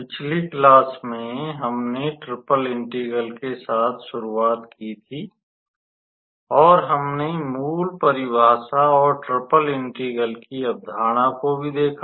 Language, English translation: Hindi, So, in the last class, we started with Triple Integral, and we also looked into the basic definition, and the concept of triple integral